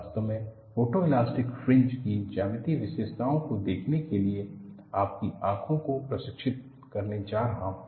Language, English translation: Hindi, In fact, I am going to train your eyes for looking at geometric features of photo elastic fringes